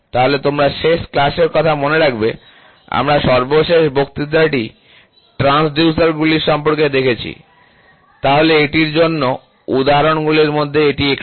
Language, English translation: Bengali, So, you remember last class, we last lecture we saw about the transducers, so in this is one of the examples for it